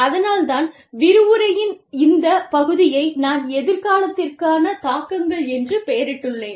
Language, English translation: Tamil, And, that is why, I have titled this part of the lecture as, implications for the future